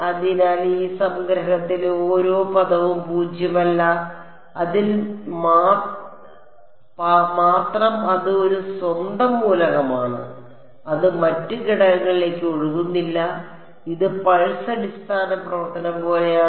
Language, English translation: Malayalam, So, every term in this summation is non zero only in it is a own element it does not spill over into the other element right it is like pulse basis function